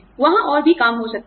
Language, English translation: Hindi, There could be more work